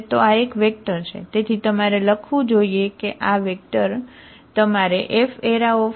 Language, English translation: Gujarati, Now this is a vector and this is also vector at the end